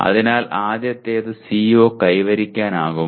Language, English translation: Malayalam, So first thing is, is the CO attainable